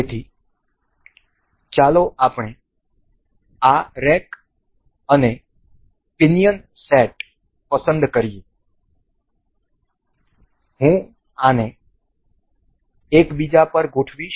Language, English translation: Gujarati, So, let us just set up this rack and pinion, I will just align these over one another